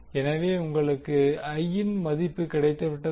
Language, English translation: Tamil, So now you got the value of I